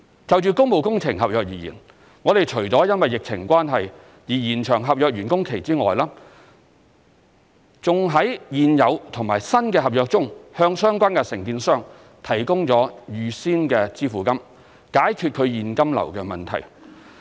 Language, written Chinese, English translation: Cantonese, 就工務工程合約而言，我們除了因疫情關係而延長合約完工期外，還在現有和新的合約中向相關承建商提供預先支付金，解決其現金流問題。, For public works contracts in addition to granting extension of time for completion due to the adverse impact of the epidemic we have also offered advance payments to contractors of ongoing and new works contracts to ease their cash flow problem